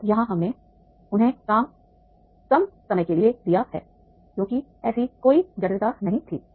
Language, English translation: Hindi, Now here we have given the less time to them because there was no such complexity